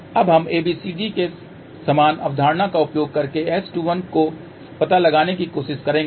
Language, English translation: Hindi, Now, we will try to find out S 21 using the same concept of the ABCD parameters to S parameter transformation